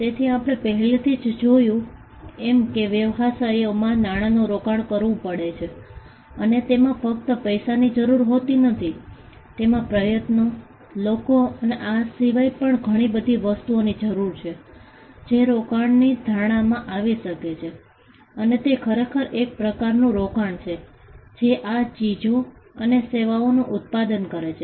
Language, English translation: Gujarati, So, we had already seen that, businesses do invest money and in it need not be just money; it could be efforts, it could be people we saw a whole lot of things, that can fall within the ambit of investment and it is the investment that actually produces these goods and services